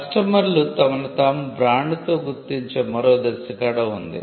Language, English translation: Telugu, But we also have another stage where, customers identify themselves with a brand